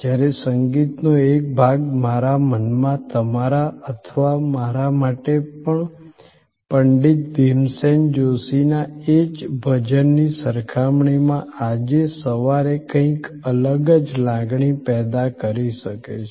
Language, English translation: Gujarati, Whereas, a piece of music may evoke a different set of emotion in my mind compare to yours or even to me that same bhajan from Pandit Bhimsen Joshi may mean something this morning